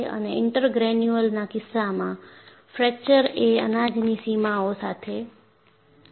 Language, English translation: Gujarati, And in the case of intergranular, fracture takes place along the grain boundaries